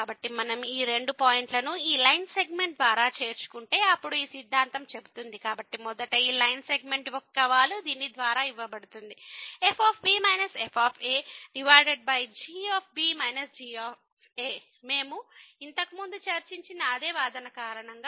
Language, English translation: Telugu, So, they will if we join these two points by this line segment, then this theorem says; so, first of all this the slope of this line segment will be given by this minus over minus because of the same argument as we have discussed earlier